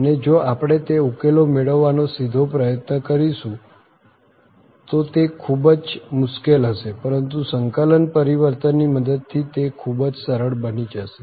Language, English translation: Gujarati, And directly if we try to get those solutions there will be very difficult but with the help of the integral transforms they will become very easy